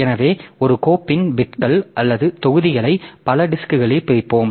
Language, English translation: Tamil, So, we will split the bits or blocks of a file across multiple disk